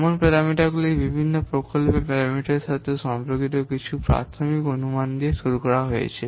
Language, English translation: Bengali, They are derived starting with some basic assumptions regarding the different project parameters